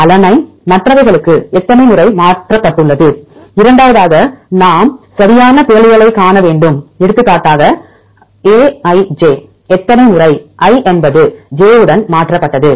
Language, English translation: Tamil, How many times alanine is mutated to others and the second one we need to see the exact mutations for example, aij how many times i is mutated to j